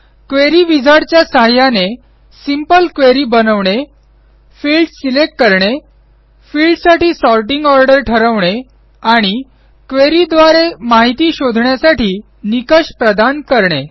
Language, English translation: Marathi, In this tutorial, we will learn how to create simple queries using the Query wizard Select fields Set the sorting order of the fields And provide search criteria or conditions for a query Let us first learn what a query is